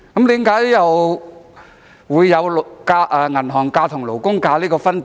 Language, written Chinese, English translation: Cantonese, 為何有"銀行假"與"勞工假"的分別？, Why is there a difference between bank holidays and labour holidays?